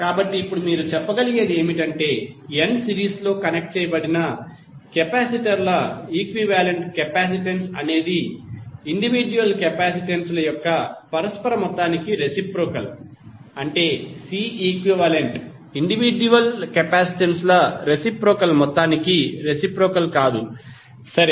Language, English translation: Telugu, So now what you can say, equivalent capacitance of n series connected capacitors is reciprocal of the sum of the reciprocal of individual capacitances, that is c equivalent is nothing but reciprocal of the sum of the reciprocal of the individual capacitances, right